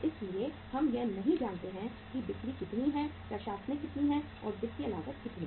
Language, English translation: Hindi, So we do not know that how much is the selling, how much is the administration, and how much is the financial cost